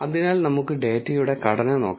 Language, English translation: Malayalam, So, let us look at the structure of the data